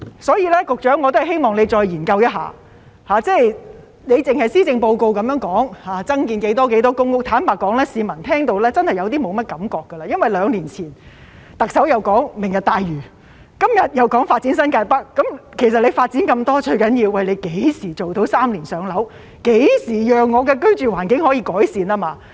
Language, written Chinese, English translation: Cantonese, 所以，我希望局長再研究一下，施政報告只是說要增建多少多少公屋，坦白說，有些市民已聽到沒有感覺了，因為兩年前，特首談到"明日大嶼"，今天又說發展新界北，其實發展那麼多，最重要的是何時做到"三年上樓"，何時讓市民的居住環境得到改善。, Therefore I hope the Secretary can look into this again . The Policy Address only states how many more PRH units will be built but frankly speaking some members of the public no longer feel the same because two years ago the Chief Executive talked about the Lantau Tomorrow Vision and today she talks about the development of New Territories North . In fact despite so much development the most important thing is when the target of three - year waiting time for PRH can be achieved and when the living environment of the public can be improved